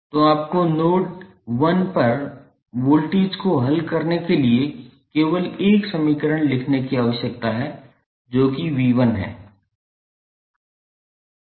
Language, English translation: Hindi, So, you need to write only one equation to solve the voltage at node 1 that is V 1